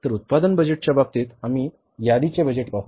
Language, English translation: Marathi, So, in case of the production budget, we will see the inventory budget